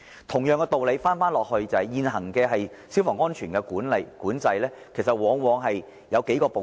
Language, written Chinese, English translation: Cantonese, 同樣的道理，現行的消防安全管制，往往包括數個部分。, This is also the case with fire safety control . Fire safety control usually consists of several parts